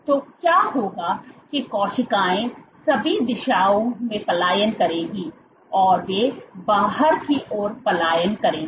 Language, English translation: Hindi, So, what will happen is the cells will then migrate in all directions, they will migrate outward